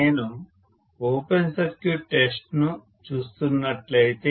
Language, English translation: Telugu, If I look at the open circuit test